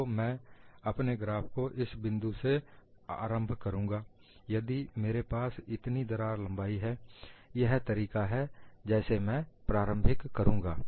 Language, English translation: Hindi, So, I would start my graph from this point; if I have the crack length is this much, so that is a way I would start